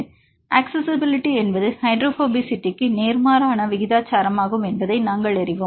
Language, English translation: Tamil, So, we know that accessibility is inversely proportional to hydrophobicity